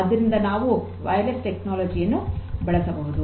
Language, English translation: Kannada, So, what we can use is we can use wireless technology